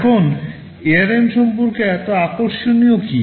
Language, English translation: Bengali, Now what is so interesting about ARM